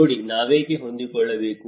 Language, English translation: Kannada, See, why do we need to adapt